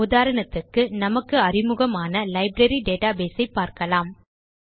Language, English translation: Tamil, For example, let us consider our familiar Library database example